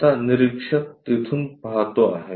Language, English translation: Marathi, Now, the observer looks from there